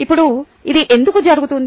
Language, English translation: Telugu, now, why does this happen